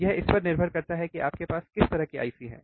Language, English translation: Hindi, It depends on what kind of IC you have